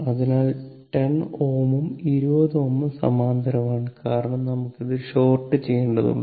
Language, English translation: Malayalam, So, 10 ohm and 20 ohm are in parallel, right because we have to short this